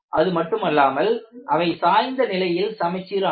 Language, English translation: Tamil, Not only that, they are tilted symmetrically